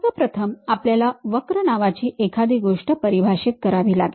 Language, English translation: Marathi, First of all we have to define something named curves